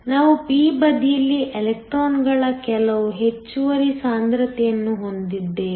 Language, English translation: Kannada, We have some extra concentration of electrons on the p side